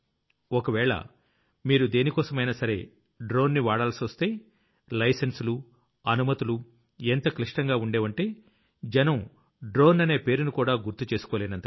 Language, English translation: Telugu, If you have to fly a drone for any work, then there was such a hassle of license and permission that people would give up on the mere mention of the name of drone